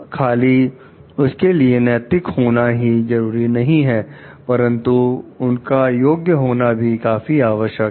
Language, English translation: Hindi, It is not only their being ethical, but they are competent also enough